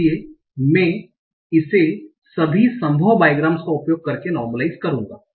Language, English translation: Hindi, So I will normalize it by using all possible bygrams